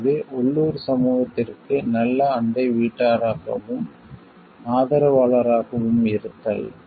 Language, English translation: Tamil, So, being a good neighbour to and supporter of the local community